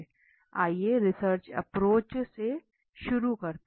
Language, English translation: Hindi, Let us start with the research approach